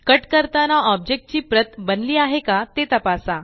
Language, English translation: Marathi, Check if a copy of the object is made when you cut it